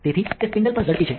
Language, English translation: Gujarati, So, it is faster on the spindle